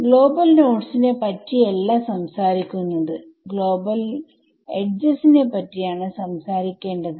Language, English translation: Malayalam, We are not talking about global nodes we have to talk about global edges